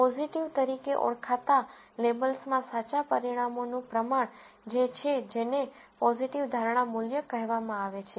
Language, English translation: Gujarati, The proportion of correct results in labels identified as positive is what is called positive predictive value